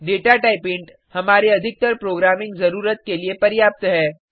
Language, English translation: Hindi, The Data type int is enough for most of our programming needs